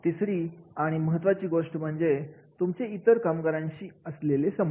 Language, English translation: Marathi, The third aspects that is very very important and that is the relationship with the other employees